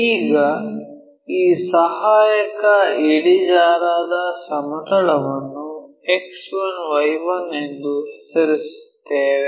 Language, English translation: Kannada, Now, name this auxiliary inclined plane as X 1 Y 1